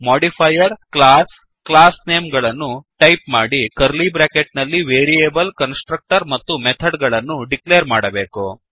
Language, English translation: Kannada, modifier â class classname within curly brackets variable, constructor and method declarations